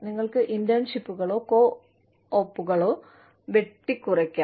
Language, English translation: Malayalam, You could cut, internships or co ops